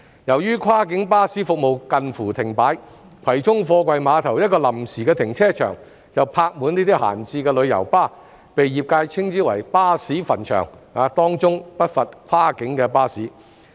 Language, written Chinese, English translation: Cantonese, 由於跨境巴士服務近乎停擺，葵涌貨櫃碼頭一個臨時停車場便泊滿這些閒置的旅遊巴，被業界稱之為"巴士墳場"，當中不乏跨境巴士。, Since the cross - boundary coach service has almost come to a standstill a temporary car park at the Kwai Chung Container Terminals is full of these idle coaches which are parked there . The industry calls it the cemetery of coaches many of which are cross - boundary coaches